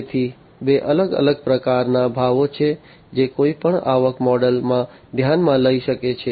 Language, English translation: Gujarati, So, there are two different types of pricing that can be considered in any revenue model